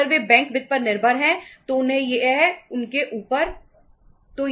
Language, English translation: Hindi, They if they depend upon the bank finance then it is up to them